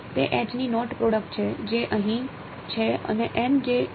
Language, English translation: Gujarati, It is the dot product of H which is here and n which is here